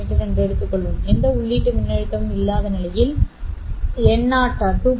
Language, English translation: Tamil, Let's say in the absence of any input voltage, n0 is 2